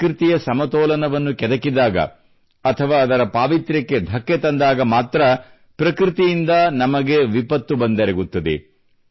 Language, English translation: Kannada, nature poses a threat to us only when we disturb her balance or destroy her sanctity